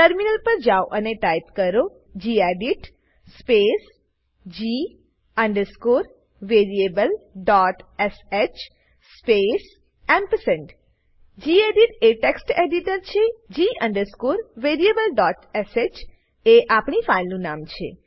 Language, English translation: Gujarati, Switch to the terminal and type gedit space g variable.sh space gedit is the text editor g variable.sh is our file name and amp is use to free up the prompt